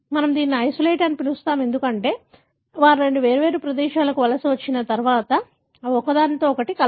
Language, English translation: Telugu, We call it as isolate, because we assume once they migrate to the two different place, they do not mix with each other